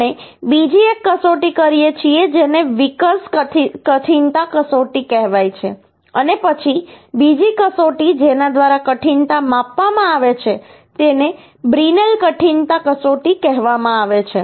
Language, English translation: Gujarati, Another test uhh we make which is called Vickers hardness test, and then another test uhh through which the hardness is measure is called brinell hardness test